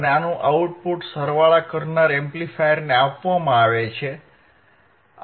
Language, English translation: Gujarati, And the output of this is fed to the summing amplifier